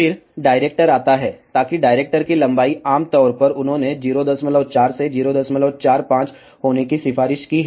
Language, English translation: Hindi, Then comes the director, so that length of the director, typically they have recommended to be 0